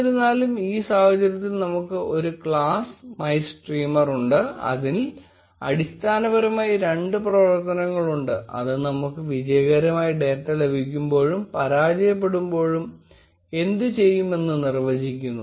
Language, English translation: Malayalam, However, in this case, we have a class MyStreamer which has basically two functions which define what we will do, when we get the data successfully, and when we fail